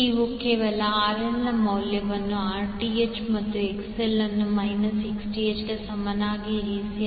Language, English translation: Kannada, You just simply put the value of RL as Rth and XL is equal to minus Xth